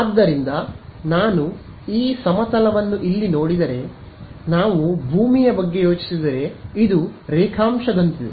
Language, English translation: Kannada, So, it is like what if we think of earth this is like longitude right